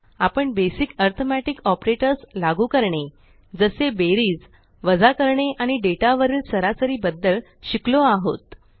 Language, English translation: Marathi, We have already learnt to apply the basic arithmetic operators like addition,subtraction and average on data